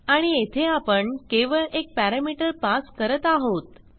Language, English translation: Marathi, And here we are passing only one parameter